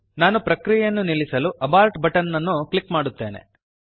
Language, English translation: Kannada, I will click on Abort button to abort the process